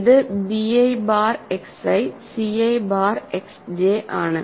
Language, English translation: Malayalam, So, it is b i bar X i c i bar X j